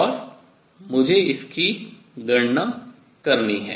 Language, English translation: Hindi, So, this we have calculated